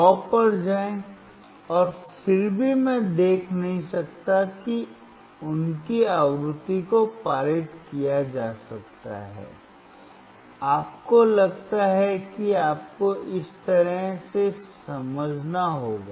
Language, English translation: Hindi, Go to 100 and still I cannot see their frequency can be passed, you see you have to understand in this way